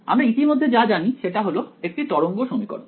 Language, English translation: Bengali, So, what we already know is the wave equation right